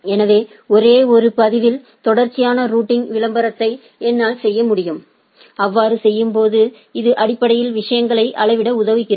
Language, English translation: Tamil, So, I can contiguous routing advertisement in a single entry and in doing so, it basically helps in scaling the things